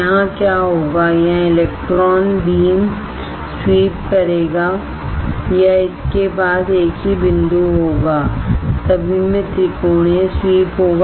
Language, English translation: Hindi, Here what will happen here the electron beam will sweep or it will have a single point right all it will have a triangular sweep